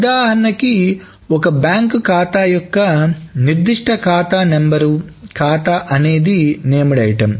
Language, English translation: Telugu, So for example, a bank account with the particular account number, the account may be a named item